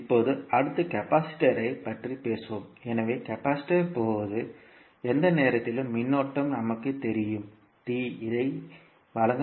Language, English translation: Tamil, Now, next let us talk about the capacitor so, in case of capacitor we know current at any time t can be given by c dv by dt